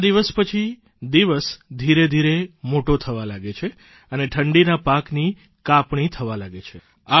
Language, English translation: Gujarati, It is during this period that days begin to lengthen and the winter harvesting of our crops begins